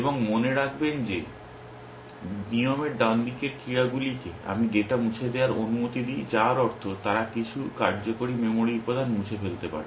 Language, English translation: Bengali, Now, remember that the actions on the right hand side of rules, I allow to delete data which means they might delete some working memory element